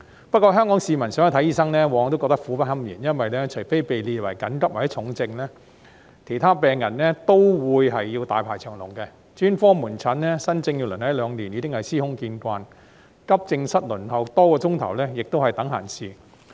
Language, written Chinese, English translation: Cantonese, 不過，香港市民想看醫生往往覺得苦不堪言，因為除被列為急症或重症的病人外，其他病人都會大排長龍，專科門診新症要輪候一兩年已司空見慣，急症室輪候多個小時亦是等閒事。, Nevertheless Hong Kong citizens always find it indescribably painful when they want to see a doctor because patients except those categorized as acute or serious will all be put in a very long queue . While one to two years of waiting for new cases at specialist outpatient clinics is already a common occurrence; hours of waiting in accident and emergency departments is not uncommon either